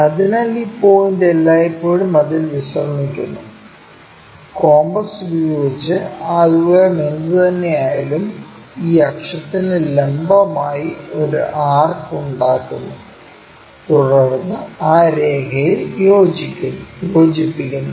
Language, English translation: Malayalam, So, this point always be resting on that; using our compass whatever this distance that distance we make an arch, perpendicular to this axis and join that line